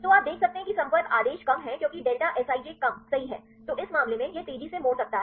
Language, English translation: Hindi, So, you can see contact order is less because delta Sij is less right, then in this case, it can fold faster